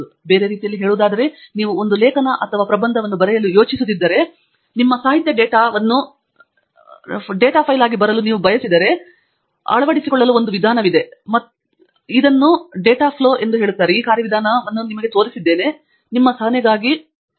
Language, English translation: Kannada, In other words, if you are planning to write an article or thesis, and you want to your literature data to come as a data file, then there is a procedure to adopt, and here I am showing you the data flow for that procedure